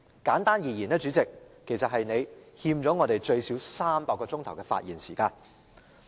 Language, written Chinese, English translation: Cantonese, 簡單而言，主席，你欠我們最少300小時的發言時間。, Simply put President you owe us at least 300 hours of speaking time